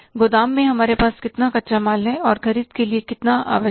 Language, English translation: Hindi, How much raw material we already have in the ground and how much is required to we purchases